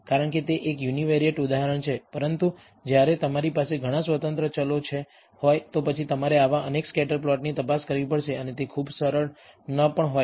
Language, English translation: Gujarati, Because it is a univariate example, but when you have many independent variables, then you have to examine several such scatter plots and that may not be very easy